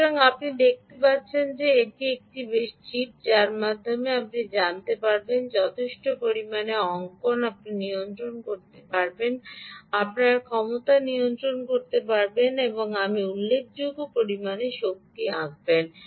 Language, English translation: Bengali, so you can see that it is quite a chip which, by which you can actually ah, ah, you know, draw sufficient, you can regulate ah, you can regulate your power and you have draw significant amount of power